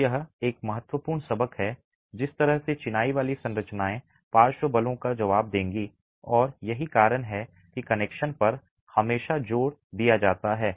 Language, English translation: Hindi, So, that is an important lesson in the way masonry structures will respond to lateral forces and that's the reason why the emphasis is always on connections